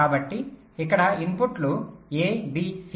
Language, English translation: Telugu, so the input, lets call it a, b and c